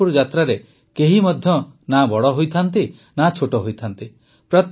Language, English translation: Odia, In the Pandharpur Yatra, one is neither big nor small